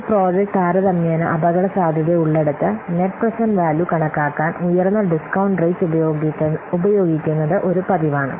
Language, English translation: Malayalam, Here where a project is relatively risky it is a common practice to use a higher discount rate to calculate the net present value